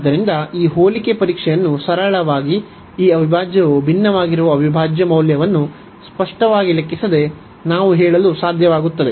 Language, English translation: Kannada, So, by simple this comparison test, we are able to tell without explicitly computing the value of the integral that this integral diverges